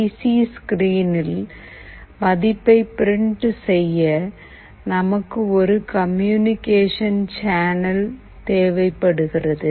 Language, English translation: Tamil, To print the value on the PC screen, we need a communication channel